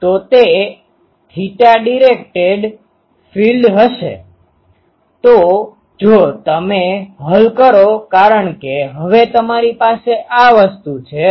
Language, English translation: Gujarati, So, it will be a theta directed field; so, if you solve because now you have this thing